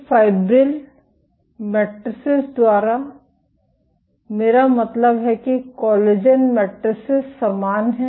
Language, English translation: Hindi, So, by fibril matrices I mean aligned collagen matrices are similarly